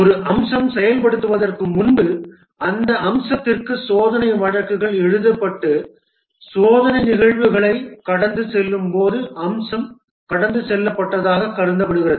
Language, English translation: Tamil, Before a feature is implemented, the test cases are written for that feature and the feature is considered passed when it passes the test cases